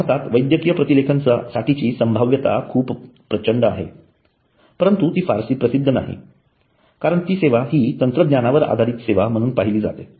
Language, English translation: Marathi, There is immense potential for medical transcription in India but it is not very famous as it has been viewed as a technology oriented service